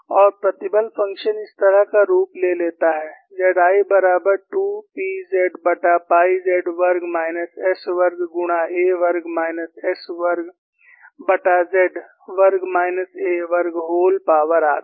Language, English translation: Hindi, And the stress function takes the form like this, Z 1 equal to 2 P z divided by pi of z squared minus s squared multiplied by a squared minus s squared divided by z squared minus a squared whole power half